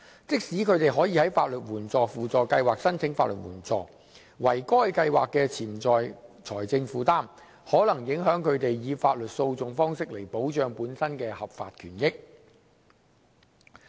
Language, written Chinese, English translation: Cantonese, 即使他們可以在法律援助輔助計劃申請法律援助，惟該計劃的潛在財政負擔，可能影響他們以法律訴訟方式來保障本身的合法權益。, Though they may apply for legal aid under SLAS the potential financial burden arising from the scheme may affect them in taking legal actions to protect their legitimate interest and rights